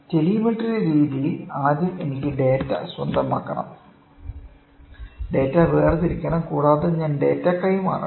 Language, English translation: Malayalam, In telemetry method, first I have to acquire the data, discretize the data, I have to transmit the data